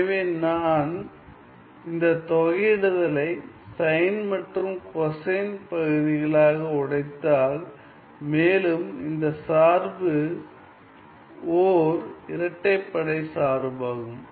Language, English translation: Tamil, So, if I were to break this integral into cosine and the sine case and my second this function is an even function